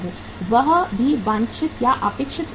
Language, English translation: Hindi, That is also at the desired or the expected level